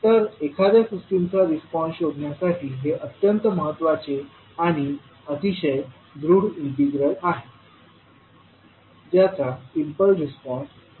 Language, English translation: Marathi, So this is very important and very strong integral to find out the response of a system, the impulse response of which is known